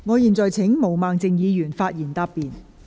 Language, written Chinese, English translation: Cantonese, 我現在請毛孟靜議員發言答辯。, I now call upon Ms Claudia MO to reply